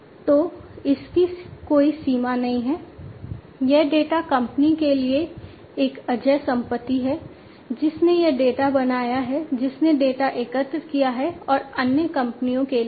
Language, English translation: Hindi, So, it does not have any limits, this data is an invariable asset for the company, that has created this data that has collected the data, and also for the other companies as well